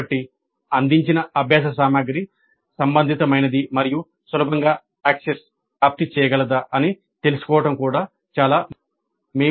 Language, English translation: Telugu, So, it is important to know whether the learning material provided was relevant and easily accessible